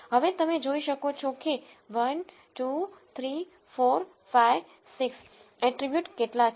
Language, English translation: Gujarati, Now, you can see that there are how many attributes 1, 2, 3, 4, 5, 6 attributes